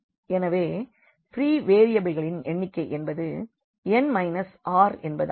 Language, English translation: Tamil, So, number of free variables will be n minus r